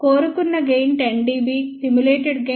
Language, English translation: Telugu, Desired gain was 10 dB, simulated gain is 10